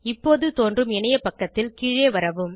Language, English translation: Tamil, Now, on the web page that is displayed, scroll down